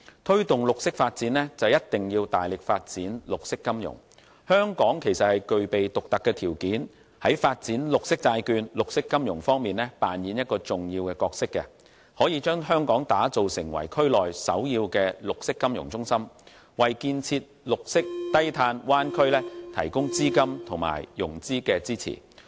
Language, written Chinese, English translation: Cantonese, 推動綠色發展一定要大力發展綠色金融，香港其實具備獨特的條件在發展綠色債券和綠色金融方面扮演重要的角色，可以將香港打造成為區內首要的綠色金融中心，為建設綠色低碳灣區提供資金和融資支持。, We must actively develop green financing in order to promote green development . Actually Hong Kong possesses the unique criteria to play a vital role in developing green bonds and green financing so as to establish ourselves as the major green financing hub in the Bay Area thereby providing the capital and financial support to build an environmental - friendly and low - carbon bay area